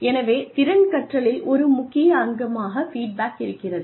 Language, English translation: Tamil, So, feedback is an essential component of skill learning